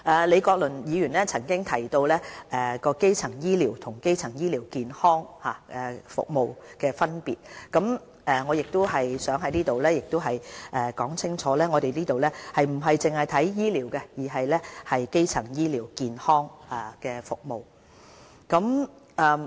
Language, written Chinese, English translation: Cantonese, 李國麟議員曾提及基層醫療和基層醫療健康服務的分別，我想在此表明，我們不只是着眼於醫療，而是整體基層醫療健康服務。, Prof Joseph LEE has talked about the differences between primary care and primary health care services . I would like to make it clear that our objective is to provide the public with comprehensive primary health care services instead of simply treatment of diseases